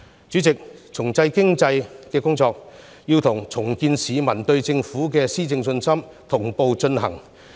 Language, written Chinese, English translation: Cantonese, 主席，重振經濟的工作，要與重建市民對政府的施政信心同步進行。, President the work of revitalizing the economy should go hand in hand with that of restoring the publics confidence in the governance of the Government